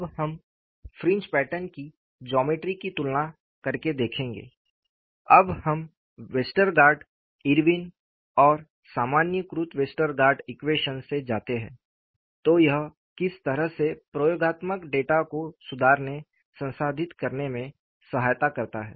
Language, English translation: Hindi, Now, we would look at, by comparing the geometry of the fringe patterns, when we go from Westergaard, Irwin and generalized Westergaard equations, what way it aids in improving, processing experimental data